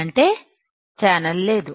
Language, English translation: Telugu, That means, channel is not there